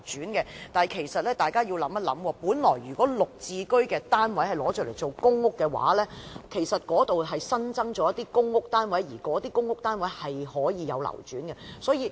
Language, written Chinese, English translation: Cantonese, 但是，大家其實要想一想，本來"綠置居"的單位若用作公屋，便可新增一些公屋單位，而那些公屋單位是可以流轉的。, However we actually need to think it over . If the GSH units are used as public housing in the first place there will be new additional PRH units for circulation